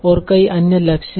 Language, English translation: Hindi, And there are many, many other goals